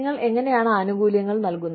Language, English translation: Malayalam, How do you administer benefits